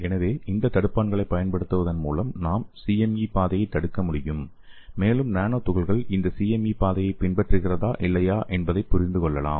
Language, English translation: Tamil, So by using this inhibitors we can inhibit the pathway CME pathway and we can understand whether the nanoparticle is following this CME pathway or not